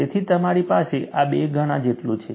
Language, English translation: Gujarati, So, you have this as two times that